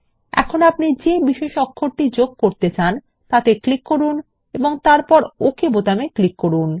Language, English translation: Bengali, Now click on any of the special characters you want to insert and then click on the OK button